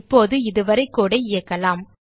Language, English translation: Tamil, Now lets execute the code till here